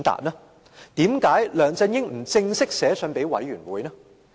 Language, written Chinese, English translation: Cantonese, 為甚麼梁振英不正式致函專責委員會？, Why didnt he formally write to the Select Committee?